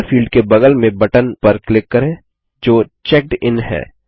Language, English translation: Hindi, Let us click on the button next to the Data field that says CheckedIn